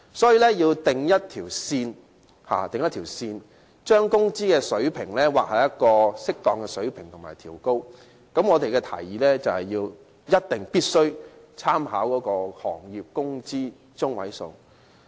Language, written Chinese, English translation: Cantonese, 所以，政府應劃定一條線，把工資水平調升至適當水平，而我們的建議是政府必須參考有關行業的工資中位數。, Hence the Government should draw a line and adjust wages upward to appropriate levels . Our proposal is that the Government must make reference to the median wage of the relevant industries